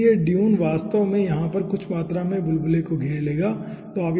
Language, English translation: Hindi, then this dune actually will be encompassing some amount of bubble over here